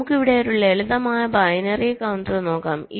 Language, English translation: Malayalam, ok, fine, so let us look at a simple binary counter here